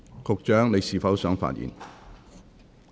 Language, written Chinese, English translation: Cantonese, 局長，你是否想發言？, Secretary do you wish to speak?